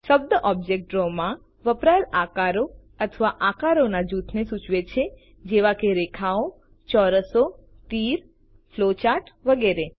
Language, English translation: Gujarati, The term Object denotes shapes or group of shapes used in Draw such as lines, squares, arrows, flowcharts and so on